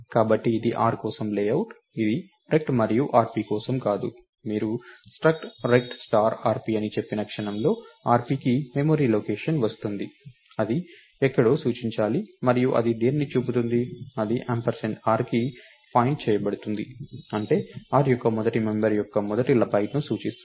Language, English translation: Telugu, So, this is the layout for r not for rect and rp, the moment you say struct rect star rp, rp will get a memory location which is supposed to point somewhere and what is it pointing, is it point its pointing to ampersand r which means its pointing to the first byte of the first member of r